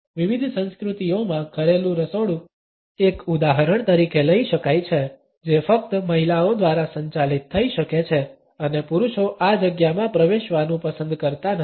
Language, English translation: Gujarati, The domestic kitchen in various cultures can be taken as an example which can be governed only by women and men would not prefer to enter this space